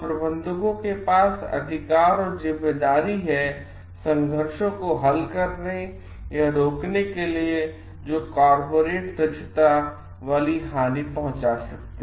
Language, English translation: Hindi, So, managers have the authority and responsibility to resolve or prevent conflicts that called like threaten corporate efficiency